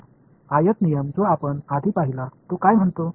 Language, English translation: Marathi, So, the rectangle rule that we saw earlier what did it say